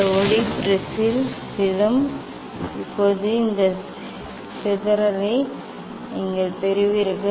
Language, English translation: Tamil, this light will fall on the prism Now, you will get this this dispersion